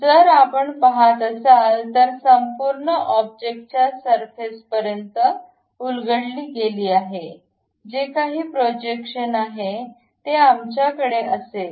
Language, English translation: Marathi, So, if you are seeing that entire object is extruded up to that surface; whatever that projection is there, we will have it